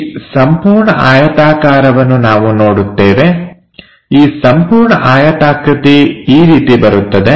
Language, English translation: Kannada, This entire rectangle we will see, this entire rectangle that comes out like that